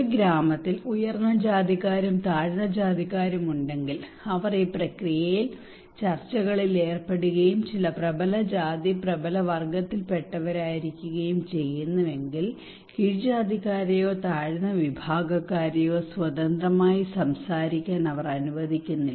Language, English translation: Malayalam, In case of in a village maybe there are upper caste and lower caste people, they are involving into this process in discussions and some of the dominant caste dominant class, they do not allow the lower caste people or lower class people to talk freely to propose any new topic or to suggest any new strategies